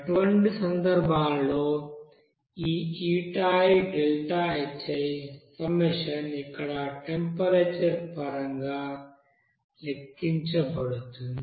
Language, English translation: Telugu, For such cases this summation of is calculated in terms of temperature here